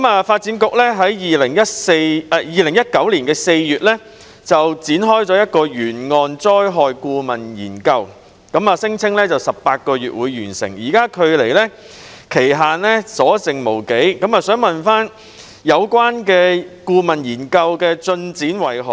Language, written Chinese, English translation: Cantonese, 發展局在2019年4月展開一項沿岸災害顧問研究，聲稱需時18個月完成，現在距離期限的日子不多，我想問有關顧問研究的進展如何？, The Bureau commenced a consultancy study on coastal hazards in April 2019 and stated that it would take 18 months to complete . As there is not much time left before the target completion date may I ask about the progress of the consultancy study?